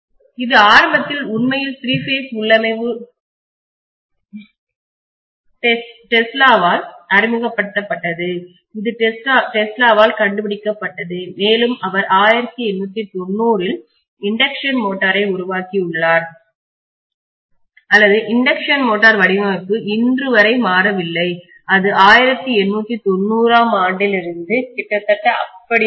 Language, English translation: Tamil, This was initially actually the three phase configuration was initially introduced by Tesla, it was invented by Tesla and he had made the induction motor sometime in 1890’s or something, so induction motor design had not changed until day, it is almost remaining the same ever since 1890